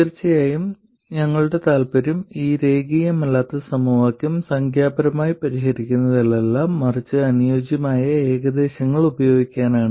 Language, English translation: Malayalam, Of course our interest is not in numerically solving these nonlinear equations, but to use suitable approximations